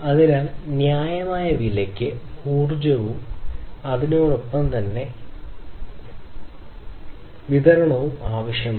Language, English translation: Malayalam, So, it is required to have energy supply also at reasonable price